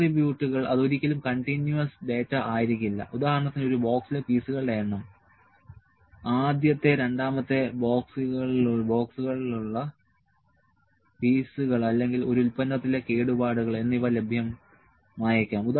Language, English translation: Malayalam, Attributes that cannot be continuous data for instance number of pieces in a box pieces in a box pieces in a second box, so or the defects in a product may be available